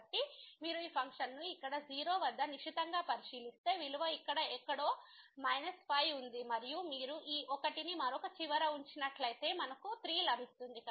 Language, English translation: Telugu, So, if you take a close look at this function here at 0 the value is a minus 5 somewhere here and if you put this 1 there the other end then we will get 3